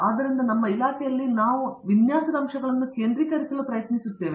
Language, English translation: Kannada, So, in our department we are being trying to focus on the design aspects